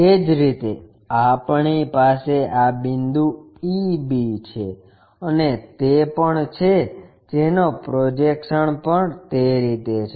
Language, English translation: Gujarati, Similarly, we have these points e b things those who are also projected in that way